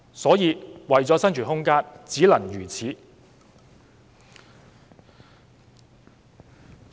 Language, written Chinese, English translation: Cantonese, 因此，為了生存空間，他們只能如此。, Hence for the sake of their very existence they cannot afford to act otherwise